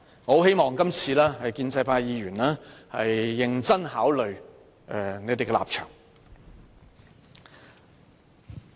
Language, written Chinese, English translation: Cantonese, 我希望建制派議員能認真考慮他們的立場。, I hope pro - establishment Members can consider their stance very seriously